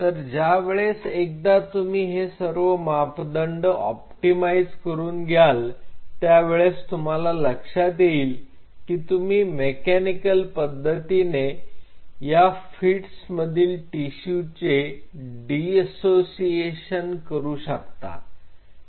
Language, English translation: Marathi, So, once you optimize this these parameters then you have to realize while you are mechanically dissociating a fetal tissue out here in this situation